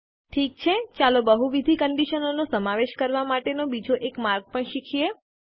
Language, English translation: Gujarati, Okay, let us also learn another way to include multiple conditions